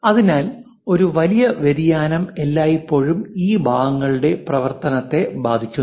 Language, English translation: Malayalam, So, a large variation always affects the functionality of this parts